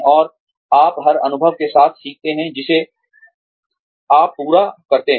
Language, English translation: Hindi, And, you learn with every experience, that you garner